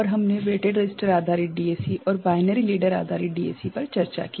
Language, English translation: Hindi, And, we discussed weighted register based DAC and binary ladder based DAC